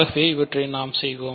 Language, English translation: Tamil, So, this I want to do